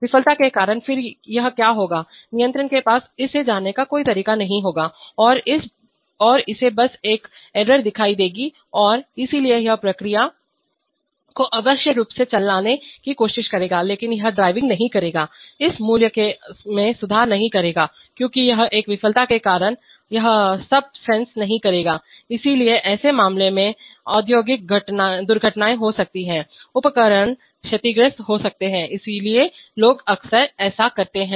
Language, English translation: Hindi, Due to failure, then what will happen this will the controller will have no way of knowing it and it will simply see an error and therefore it will try to drive the process unnecessarily but that driving will not, will not improve this value because it is due to a failure, it is not sensing anymore, so in such cases industrial accidents may result, equipment may get damaged, so what people often do is that